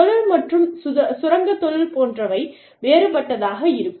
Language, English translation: Tamil, And, the kind of industry, mining industry would be different